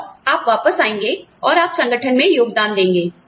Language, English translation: Hindi, And, you will come back, and you will, contribute to the organization